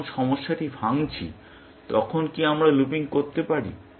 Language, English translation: Bengali, Can we have looping when we are decomposing the problem